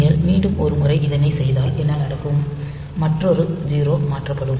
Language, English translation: Tamil, If you do the step once more then what will happen, so another 0 gets shifted